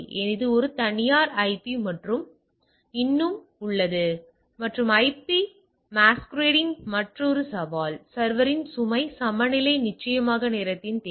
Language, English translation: Tamil, So, it is a private IP and still there and IP masquerading is another challenge, load balancing of the server is definitely need of the hour